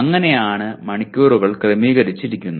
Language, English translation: Malayalam, So that is how the hours are organized